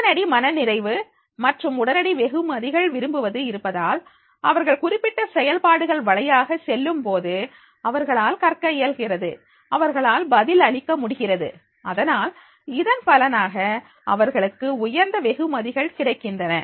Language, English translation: Tamil, Prefer instant gratification and instant rewards are there, so therefore as soon as they go through this particular process, they are able to learn, they are able to answer and therefore as a result of which they are having the high rewards